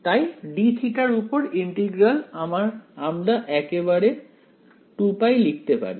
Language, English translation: Bengali, So, that integral over d theta we can immediately write as 2 pi right